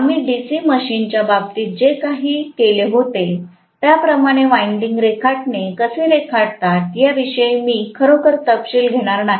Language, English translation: Marathi, I am not going to really get into the detail of how the winding diagram is drawn like what we did in the case of DC machine